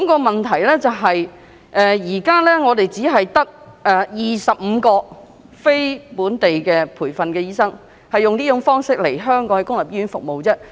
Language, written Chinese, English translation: Cantonese, 問題是現時只有25名非本地培訓醫生以這種形式來港在公立醫院服務，人數非常少。, The problem is that only 25 non - locally trained doctors are working in local public hospitals in this manner